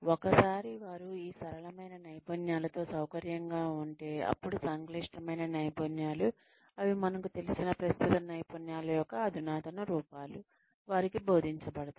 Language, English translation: Telugu, Once, they are comfortable, with these simpler skills, then complex skills, which are nothing, but more advanced forms, of the existing skills, that they are familiar with, are taught to them